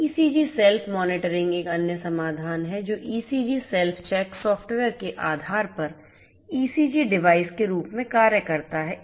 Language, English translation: Hindi, ECG Self Monitoring is another solution which serves as ECG device, based on the “ECG Self Check” software